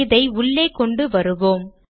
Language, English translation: Tamil, Let us bring it inside